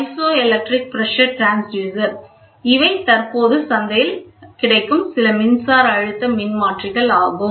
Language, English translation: Tamil, These are some of the electric pressure transducers which are available in the market today